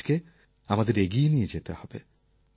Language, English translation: Bengali, We have to take this task forward